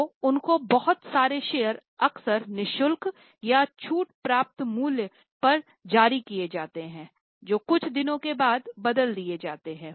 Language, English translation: Hindi, So, they are issued a lot of shares, often free of cost or at a discounted price, which are converted after some days